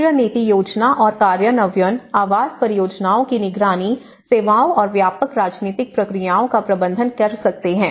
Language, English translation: Hindi, The national policy making, the planning and implementation, monitoring of housing projects and the managing of the services and wider political processes